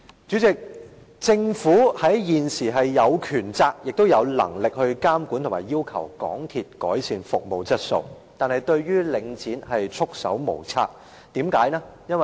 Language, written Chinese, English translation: Cantonese, 主席，政府現時有權責和能力監管及要求港鐵改善服務質素，但是，對於領展卻束手無策，為甚麼呢？, President now the Government has the power responsibility and ability to monitor MTR and request it to improve its service quality but it can do nothing to Link REIT . Why?